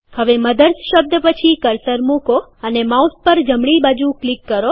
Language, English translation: Gujarati, Now place the cursor after the word MOTHERS and right click on the mouse